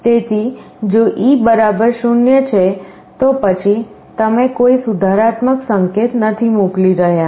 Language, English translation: Gujarati, So, if e = 0, then you are not sending any corrective signal